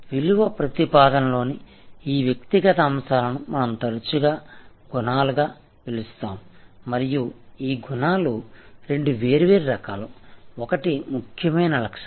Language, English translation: Telugu, We often call also these individual items in the value proposition as attributes and this attributes are of two different types, one is important attribute